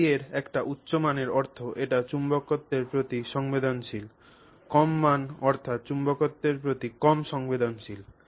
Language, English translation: Bengali, So, a higher value of kai means it is more susceptible to magnetism, lower value would be less susceptible to magnetism